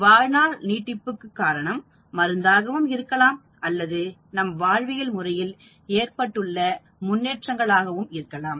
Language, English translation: Tamil, The extension in life could be because of the drug or because of the improvement in the quality of life